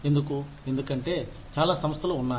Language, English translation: Telugu, Why because, there are so many organizations, that are there